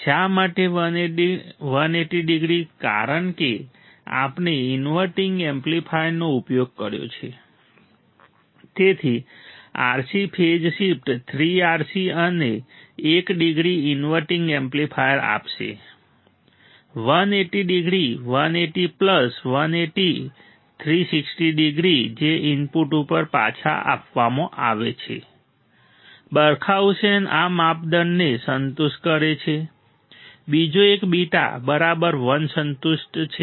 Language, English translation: Gujarati, So, RC phase shift 3 RC will give us one degree inverting amplifier 180 degree 180 plus 180 360 degree that is provided back to the input Barkhausen criteria is satisfied second one is a beta equal to 1 is satisfied